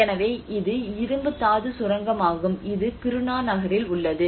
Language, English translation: Tamil, So this is iron ore mine what you are seeing and this is the Kiruna town